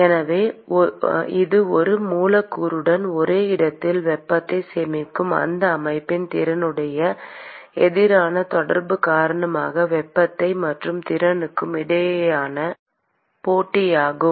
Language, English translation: Tamil, So, it is a competition between the ability to transfer heat because of the interaction versus the ability of that system to store the heat in the same location with the same molecule